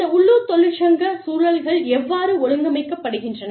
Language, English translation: Tamil, How, these local union environments, are organized